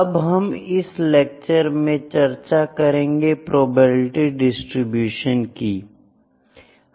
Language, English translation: Hindi, In this lecture I will discuss about probability distributions